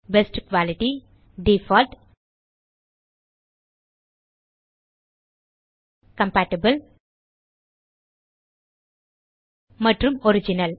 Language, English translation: Tamil, Best quality, default, compatible and original